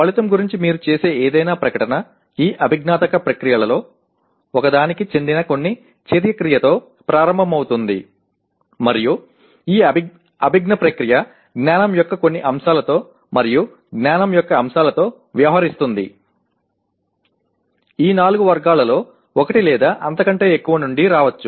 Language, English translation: Telugu, Any statement that you make about outcome will start with some action verb belonging to one of these cognitive processes and these cognitive process deals with some elements of knowledge and elements of knowledge may come from one or more of these four categories